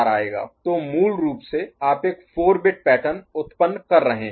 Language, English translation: Hindi, So, basically you are generating a 4 bit pattern, ok